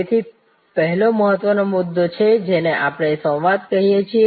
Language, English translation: Gujarati, So, that is the first important point what we call dialogue